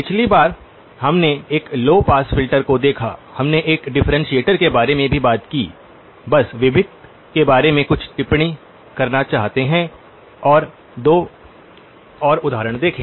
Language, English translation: Hindi, Last time, we looked at a low pass filter, we also talked about a differentiator, just want to make a few comments about the differentiator and look at two more examples